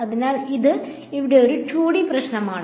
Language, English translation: Malayalam, So, this is a 2D problem over here ok